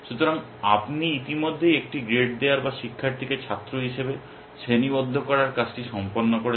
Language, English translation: Bengali, So, you have already done with the task of giving the a grade or classifying the student in as a student